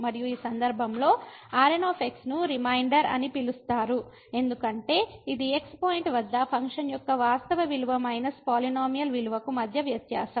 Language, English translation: Telugu, And in this case now the is called the remainder, because this is the difference between the actual value of the function minus the polynomial value at the point